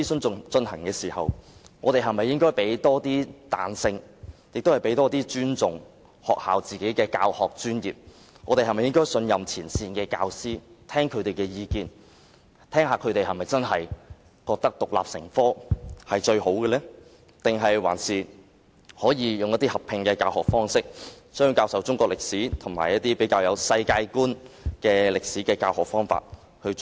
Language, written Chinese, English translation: Cantonese, 在進行諮詢期間，我們應該多給予教育界彈性，尊重學校的教學專業，信任前線教師，聆聽他們的意見，就應否獨立成科，還是以合併的教學方式教授中史及世界觀歷史？, During the consultation we should give the education sector more flexibility respect the teaching professionalism of schools trust frontline teachers and listen to their views on whether Chinese History should be taught independently or jointly with World History?